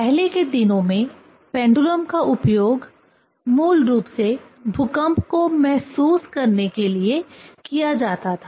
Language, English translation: Hindi, In earlier days, basically pendulum was used to sense the earthquake, ok